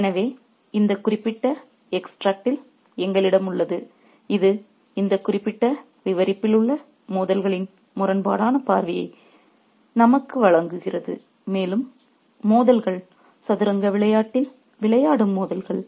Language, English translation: Tamil, So, we have this particular extract here which is offering us a glimpse in an ironic fashion of the conflicts in this particular narrative and the conflicts are conflicts of play, conflicts of play in the game of chess